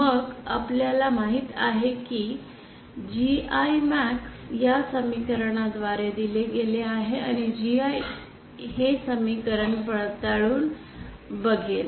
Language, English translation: Marathi, Then we know that GI max is given by this equation, and GI will verify this equation